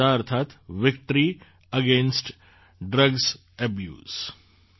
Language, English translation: Gujarati, VADA means Victory Against Drug Abuse